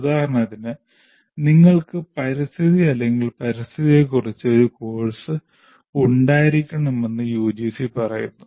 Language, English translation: Malayalam, For example, UGC says you have to have a course on ecology or environment, whatever name that you want